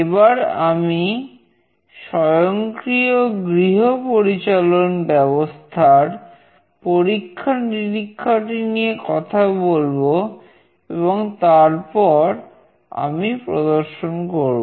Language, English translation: Bengali, I will talk about the home automation, the experiment, and then I will demonstrate